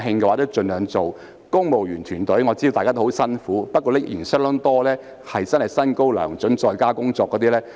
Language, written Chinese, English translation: Cantonese, 我知道公務員團隊都很辛苦，但仍有不少薪高糧準、在家工作的公務員。, I know that the civil servants are working very hard but still many of them are in high positions well remunerated and working from home